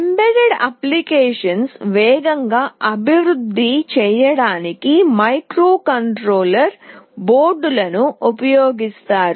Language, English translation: Telugu, Microcontroller boards are used for fast development of embedded applications